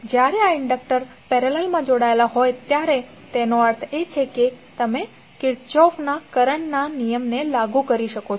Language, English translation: Gujarati, So when these inductors are connected in parallel means you can apply Kirchhoff’s current law